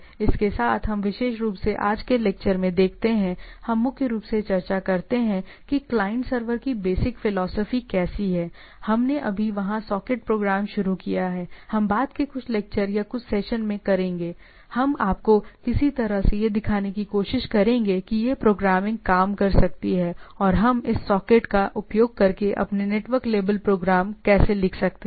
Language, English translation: Hindi, So, with this what we see a in this particular today’s lecture, we primarily discusses that how what is the basic philosophy of client server, we just introduced there socket program, we’ll in some of the subsequent lectures or some of the session, we will try to will show you some how this programming can work and how we can write your own network label programs into using this socket